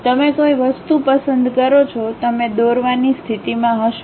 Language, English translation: Gujarati, You pick some object; you will be in a position to draw